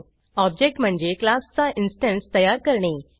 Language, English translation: Marathi, An object is an instance of a class